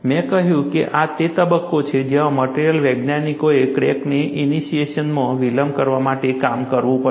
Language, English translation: Gujarati, I said, this is the phase where material scientists have to work to delay the crack initiation